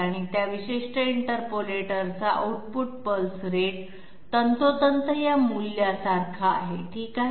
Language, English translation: Marathi, And output pulse rate of that particular interpolator, they become exactly these values, okay